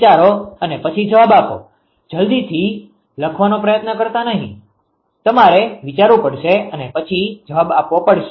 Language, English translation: Gujarati, Think and then you will answer do not ah do not try to write quickly, you have to think and you have to answer right